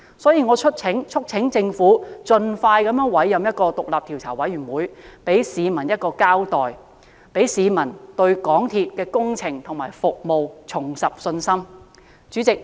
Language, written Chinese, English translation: Cantonese, 因此，我促請政府盡快委任獨立調查委員會，給市民一個交代，讓市民對港鐵公司的工程和服務重拾信心。, I thus urge the Government to expeditiously appoint an independent commission of inquiry sort of giving an account to the public for the sake of restoring public confidence in MTRCLs projects and services